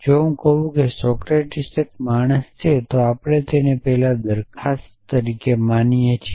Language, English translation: Gujarati, So, if I say Socrates is a man we treat it that as a proposition earlier